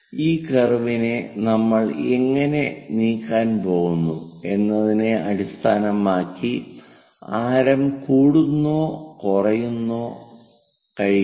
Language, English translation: Malayalam, Radius can increase, decrease based on how we are going to move this curve